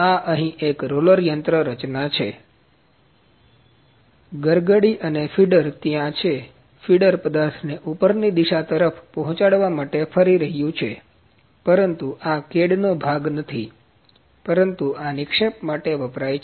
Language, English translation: Gujarati, This is a roller mechanism here, pulley and feeder, pulley and feeder, is there feeder is rotating to feed the material towards the upward direction, but this is not the part of the CAD , but this is used for the deposition